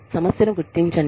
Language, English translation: Telugu, Acknowledge the problem